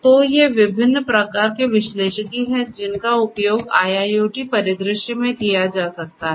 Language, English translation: Hindi, So, these are the different types of analytics that could be used in an IIoT scenario